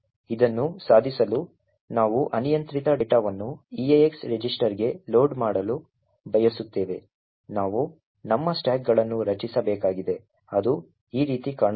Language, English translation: Kannada, In order to achieve this where we want to load arbitrary data into the eax register, we need to create our stacks which would look something like this way